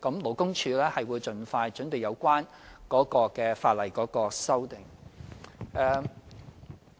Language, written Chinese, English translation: Cantonese, 勞工處會盡快準備有關的法例修訂。, LD will expeditiously prepare the relevant legislative amendments